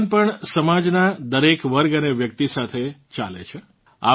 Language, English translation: Gujarati, God also walks along with every section and person of the society